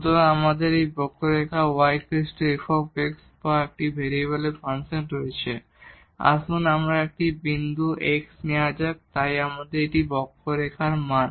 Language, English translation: Bengali, So, we have this curve y is equal to f x or the function of one variable and let us take a point x here so, the value on this curve